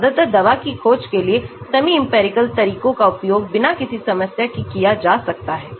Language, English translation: Hindi, mostly for drug discovery, semi empirical methods can be used without any problem